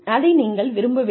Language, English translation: Tamil, And, you do not want that to happen